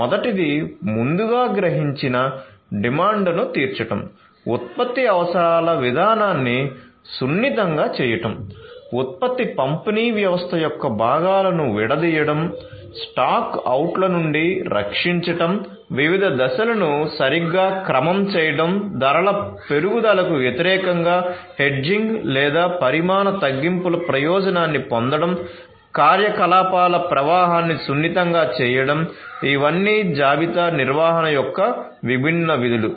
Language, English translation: Telugu, So, the first one is meeting the anticipated demand, smoothening the production requirement procedure, decoupling components of the production distribution system, protecting against stock outs, properly ordering the cycles, hedging against price increases or taking advantage of quantity discounts, smoothening the flow of operations, so all of these are different functions of inventory management